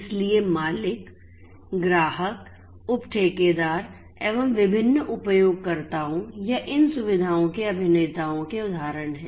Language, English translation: Hindi, So, owners, customers, subcontractors are examples of the different users or the actors of these facilities